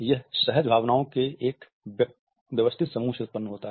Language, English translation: Hindi, It is produced from an array of instinctual feelings